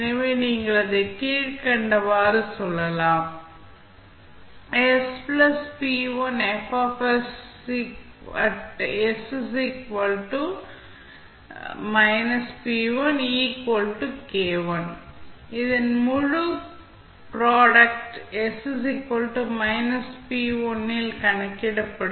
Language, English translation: Tamil, The whole product of this would be calculated at s is equal to minus p1